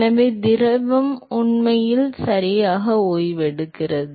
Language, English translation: Tamil, So, the fluid actually comes to rest ok